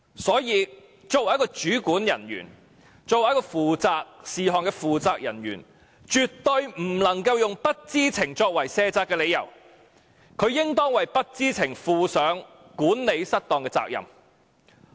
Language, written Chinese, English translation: Cantonese, 所以，作為一名主管人員及項目負責人員，絕不能用不知情作為卸責的理由，應當為不知情負上管理失當的責任。, Hence as a controlling officer or project manager he absolutely could not shirk his responsibility in the name of ignorance; he should take responsibility of maladministration because of his ignorance